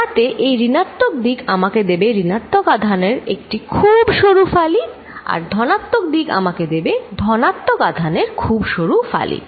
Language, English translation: Bengali, So, that this negative side will give me a very thin slice of negative charge, positive side will give me a very thin slice of positive charge